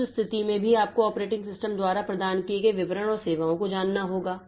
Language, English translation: Hindi, Then even in that case you need to know the details and services provided by the operating system